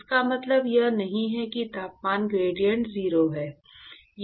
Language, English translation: Hindi, It does not mean that the temperature gradient is 0